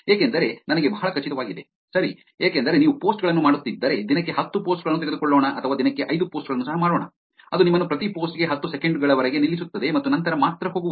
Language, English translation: Kannada, Because I am pretty sure, right, because if you are doing, let’s take, 10 posts a day or, like, 5 post a day also, it is going to stop you for every post ten seconds and then only to go